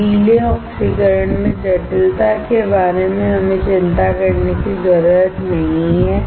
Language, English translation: Hindi, We do not have to worry about complexity in wet oxidation